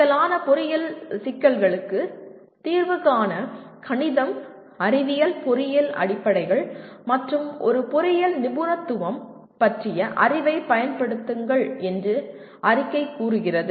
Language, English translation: Tamil, I can say solve complex engineering problems applying the knowledge of mathematics, science, engineering fundamentals and an engineering specialization